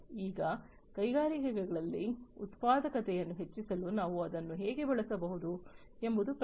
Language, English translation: Kannada, Now, the question is that how we can use it for increasing the productivity in the industries